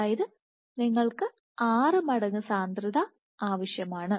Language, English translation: Malayalam, So, you require a 6 fold higher concentration